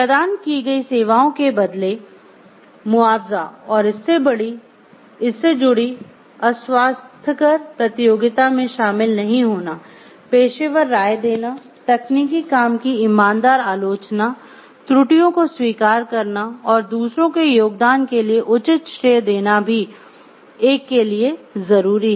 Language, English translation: Hindi, Compensation for a services rendered; engineers shall not engage in unhealthy competition, professional opinion engineers shall seek an offer honest criticism of technical work, acknowledge errors and give proper credit for contribution of others